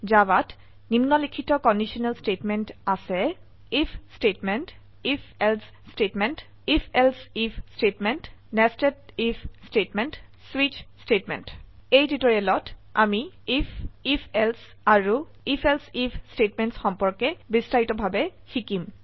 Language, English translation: Assamese, In Java we have the following conditional statements: * If statement#160 * If...Else statement#160 * If...Else if statement#160 * Nested If statement * Switch statement In this tutorial, we will learn about If, If...Else and If...Else If statements in detail